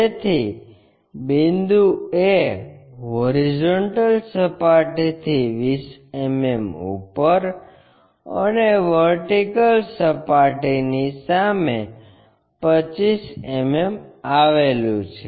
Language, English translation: Gujarati, So, the point A begins 20 mm above the horizontal plane and 25 mm in front of vertical plane